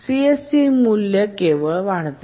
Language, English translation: Marathi, So, the CSE value only increases